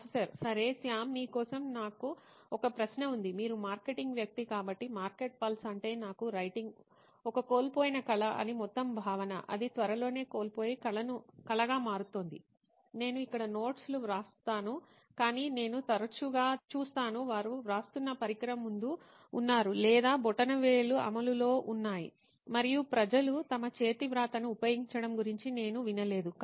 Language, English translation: Telugu, Okay, Shyam I have a question for you, you are the marketing guy so what is the market pulse the whole notion that writing to me is a lost art it is becoming soon a lost art, I write notes here but I see often that people are in front of device they are writing or the thumbs are into play and I have not heard of people actually use their handwriting if fact they themselves forget that this is the thing